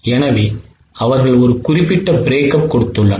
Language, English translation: Tamil, So, they have given a particular breakup